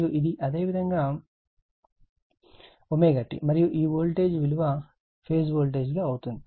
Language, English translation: Telugu, And this is your omega t, and this is the voltage phase voltage right